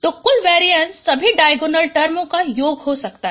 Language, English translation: Hindi, So the total variance could be total variance is a sum of all these diagonal terms